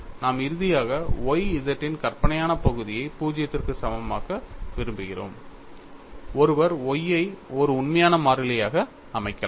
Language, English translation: Tamil, We finally want imaginary part of Y z equal to 0, one can also a set Y as a real constant